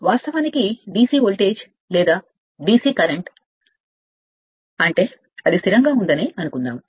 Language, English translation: Telugu, Actually DC voltage or DC current means suppose it is remains constant